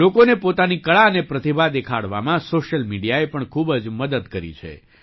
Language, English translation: Gujarati, Social media has also helped a lot in showcasing people's skills and talents